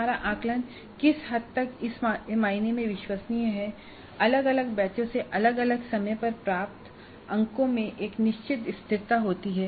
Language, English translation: Hindi, So to what extent our assessment is reliable in the sense that scores obtained from different batches at different times have certain consistency